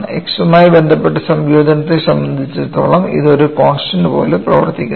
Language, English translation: Malayalam, As far as integration with respect to x is concerned, this behaves like a constant